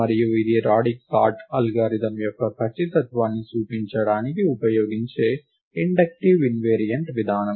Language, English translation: Telugu, And this is an inductive invariant that will be used to argue the correctness of the radix sort algorithm